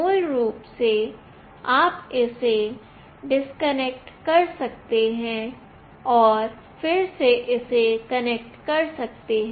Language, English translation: Hindi, Basically you can disconnect it and then again you can connect it